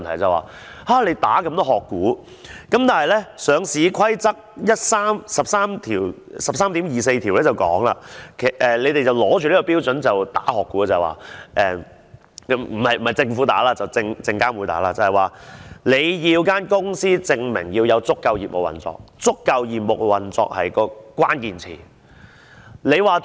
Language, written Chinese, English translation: Cantonese, 當局打擊這麼多"殼股"，但港交所的《上市規則》第 13.24 條訂明，當局是持着這個標準打擊"殼股"——不是政府打擊，而是證監會——它要公司證明有足夠業務運作，而"足夠業務運作"是關鍵詞。, While the authorities were combating so many listed shells according to the Listing Rule 13.24 of HKEx―the authority was combating listed shells based on these standards . Those shell companies had to prove that they had sufficient level of operations while sufficient level of operations was the key word